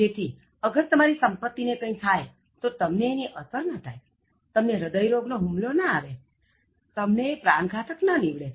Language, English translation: Gujarati, So, whatever happens to your wealth or property, will not affect you, will not give you heart attack, will not kill you